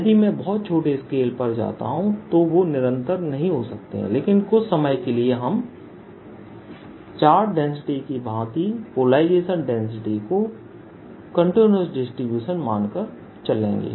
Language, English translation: Hindi, if i go to very small scale they may not be continuous, but for the time being we will again like we treat charge density, we'll consider polarization density to be continuous distribution